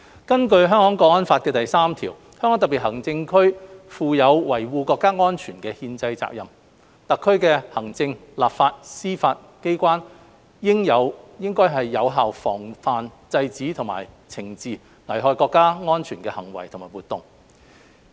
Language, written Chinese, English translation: Cantonese, 根據《香港國安法》第三條，香港特別行政區負有維護國家安全的憲制責任，特區行政、立法、司法機關應有效防範、制止和懲治危害國家安全的行為和活動。, Article 3 of NSL provides that it is the constitutional duty of HKSAR to safeguard national security and the executive authorities legislature and judiciary of HKSAR shall effectively prevent suppress and impose punishment for any act or activity endangering national security